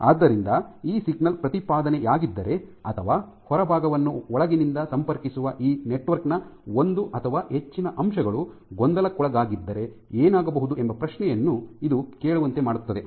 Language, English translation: Kannada, So, this also brings us to ask to the question that what would happen, if this signal proposition or if one or more elements of this network which connect the outside to the inside is perturbed